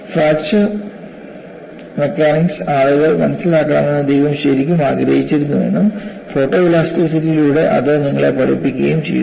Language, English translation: Malayalam, You know, God really wanted people to understand fracture mechanics and he had taught you through photo elasticity